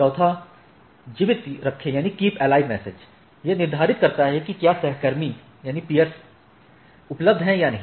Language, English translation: Hindi, Keep alive, this determines if the peers are reachable or not